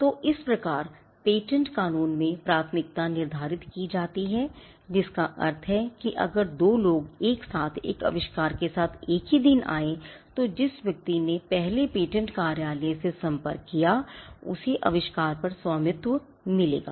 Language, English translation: Hindi, So, this is how priority is determined in patent law which means if two people simultaneously came up with an invention say on the same day the person who approached first the patent office will get the ownership over the invention